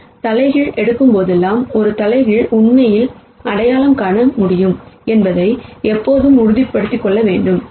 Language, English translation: Tamil, Whenever we take inverses we have to always make sure that we can actually identify an inverse